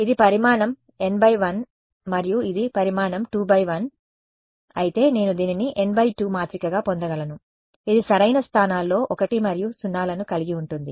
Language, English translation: Telugu, Right if this is size n cross 1 and this is size 2 cross 1 I can get this to be an n cross 2 matrix which is this have 1s and 0s in the right places